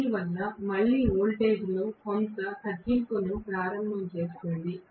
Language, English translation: Telugu, Because of which is again that introduces some kind of reduction into voltage